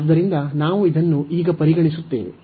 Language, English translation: Kannada, So, we will consider now this one